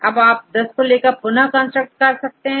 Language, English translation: Hindi, Now from the pool you take any 10 and then again you construct